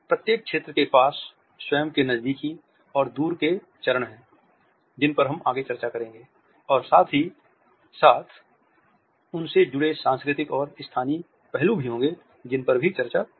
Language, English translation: Hindi, Each zone has it is own close and far phases which we shall discuss and at the same time there are cultural and locational aspects related with them, which will also be discussed